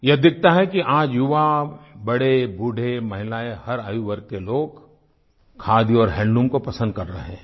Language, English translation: Hindi, One can clearly see that today, the youth, the elderly, women, in fact every age group is taking to Khadi & handloom